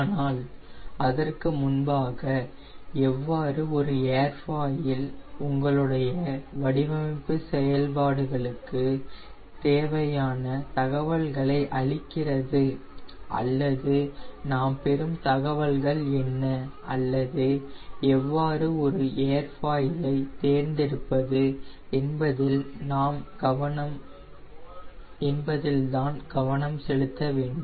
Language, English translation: Tamil, but before that, i want to focus on how an airfoil gives us information regarding your design process, or what are the information we get, or how to choose an airfoil